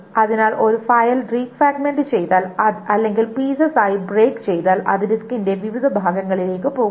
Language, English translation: Malayalam, So, what it tries to do is if a file is fragmented, if a file is broken into pieces, then it goes into different parts of the disk